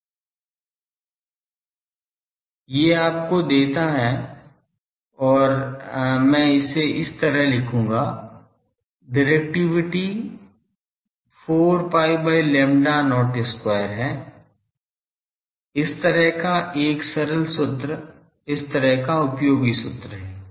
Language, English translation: Hindi, These gives you and I will write it like this, directivity is 4 pi by lambda not square such a simple formula, such a useful formula